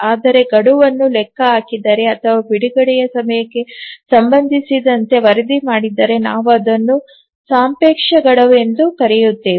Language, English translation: Kannada, Whereas if the deadline is computed or is reported with respect to the release time, then we call it as the relative deadline